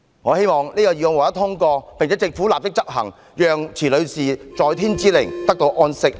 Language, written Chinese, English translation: Cantonese, 我希望議案獲得通過，並且，政府立即推行相關政策，讓池女士在天之靈得到安息。, I hope that the motion will be carried and the Government will roll out relevant policies at once . In this way Ms CHI can rest in eternal peace in heaven